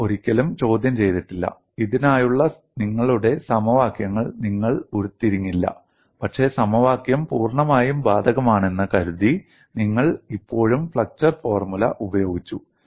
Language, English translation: Malayalam, You never questioned, you have not derived your equations for this, but you have still utilized flexure formula thinking the formula is fully applicable